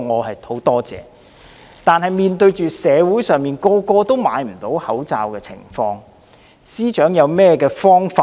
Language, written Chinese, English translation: Cantonese, 可是，面對社會上人人買不到口罩的情況，司長有何解決方法？, That said given the fact that many members of the public are unable to buy face masks will the Chief Secretary come up with any solution?